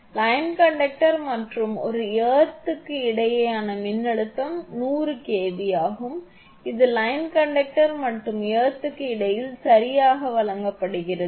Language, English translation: Tamil, The voltage between the line conductor and a earth is 100 kV that is also given right between the line conductor and the earth